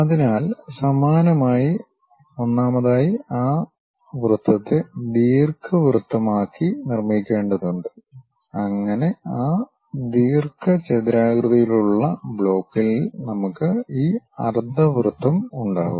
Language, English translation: Malayalam, So, in the similar way first of all we have to construct that circle into ellipse so that, we will be having this ellipse on that rectangular block